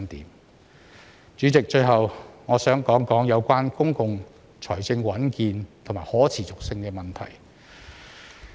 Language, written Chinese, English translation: Cantonese, 代理主席，最後我想談談有關公共財政穩健和可持續性的問題。, Deputy President last but not least I would like to discuss the issue of sound and sustainable public finance